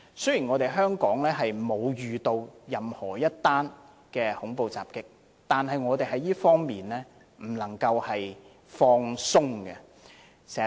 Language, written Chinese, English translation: Cantonese, 雖然香港沒有遇到任何的恐怖襲擊，但我們不能在這方面掉以輕心。, Although no terrorist attack has happened in Hong Kong so far we should not be complacent